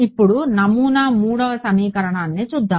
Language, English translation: Telugu, Now let us see the pattern 3rd equation